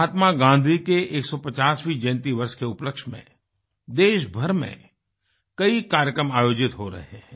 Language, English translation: Hindi, Many programs are being organized across the country in celebration of the 150th birth anniversary of Mahatma Gandhi